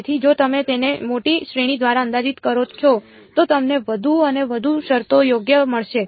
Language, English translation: Gujarati, So, if you approximate it by a larger series you will get more and more terms right